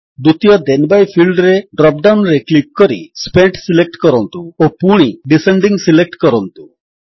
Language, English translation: Odia, In the second Then by field, click on the drop down, select Spent and then, again select Descending